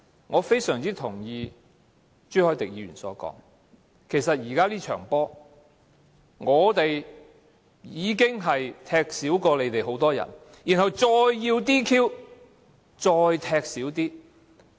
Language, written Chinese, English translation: Cantonese, 我非常同意朱凱廸議員所說，其實現時這場球賽，我們已經比你們少踢很多人，然後還要 "DQ"， 再踢走一些人。, I fully agree with Mr CHU Hoi - dick who says that it is now all like a soccer match in which our team already has fewer players than yours . But then you still want to disqualify and expel some more players of ours